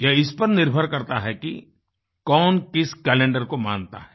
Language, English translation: Hindi, It is also dependant on the fact which calendar you follow